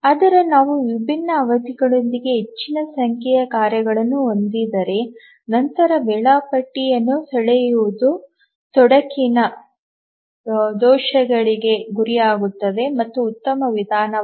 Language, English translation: Kannada, But if we have a large number of tasks with different periods, drawing the schedule is cumbersome, prone to errors and this may not be the best approach